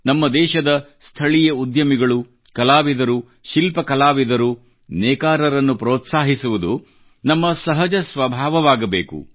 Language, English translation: Kannada, Supporting local entrepreneurs, artists, craftsmen, weavers should come naturally to us